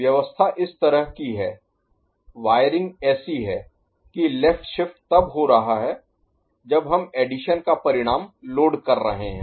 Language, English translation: Hindi, The arrangement is such that, the wiring is such that a left shift is occurring when we are loading the addition result